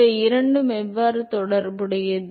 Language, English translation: Tamil, How are these two related